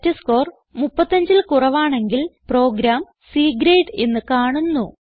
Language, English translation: Malayalam, If the testScore is less than 35, then the program displays C Grade